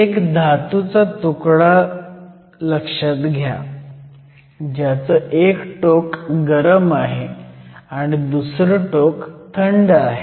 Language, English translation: Marathi, So, consider a piece of metal, one end of it is hot and the other end of it is cold